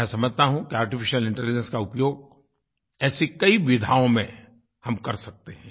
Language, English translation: Hindi, I feel we can harness Artificial Intelligence in many such fields